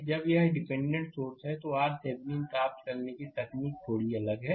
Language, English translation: Hindi, Now, this when dependent sources is there, technique of getting R Thevenin is slightly different